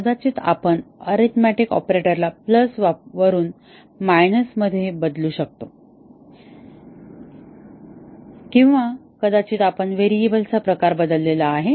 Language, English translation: Marathi, May be we changed an arithmetic operator from plus to minus or maybe we changed the type of a variable